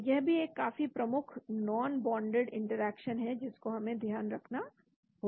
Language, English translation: Hindi, So this is also a quite an important non bonded interaction we need to consider